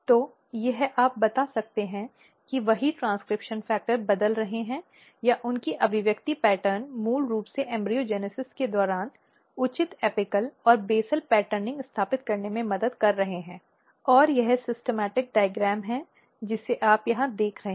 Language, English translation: Hindi, So, this you can tell that that same transcription factors they are changing or their expression patterns are basically helping in definingin establishing proper apical and basal patterning during the embryogenesis, and this is the schematic diagram you can see here